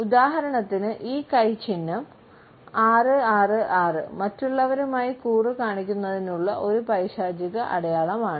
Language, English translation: Malayalam, For instance this hand sign is a satanic sign meaning 666 to show others and allegiance with sign